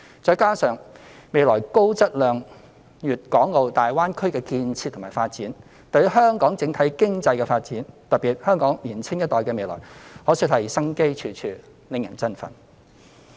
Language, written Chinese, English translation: Cantonese, 再加上未來高質量的粵港澳大灣區建設和發展，對於香港整體經濟的發展，特別是香港年青一代的未來，可說是生機處處，令人振奮。, Together with the high - quality planning and development for the Guangdong - Hong Kong - Macao Greater Bay Area in the future there will be great vitality and exciting prospects for the overall economic development of Hong Kong especially for the future of our younger generation